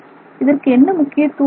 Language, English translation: Tamil, So, why is this important to us